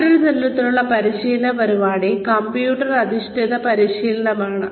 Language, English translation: Malayalam, The other type of training program is, computer based training